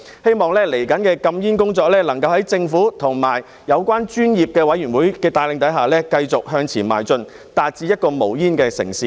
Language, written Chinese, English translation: Cantonese, 希望未來的禁煙工作能夠在政府和有關專業委員會的帶領下，繼續向前邁進，達致一個無煙的城市。, I hope that led by the Government and the relevant professional committees the anti - smoking efforts will continue to move forward to achieve the goal of making Hong Kong a smoke - free city in the future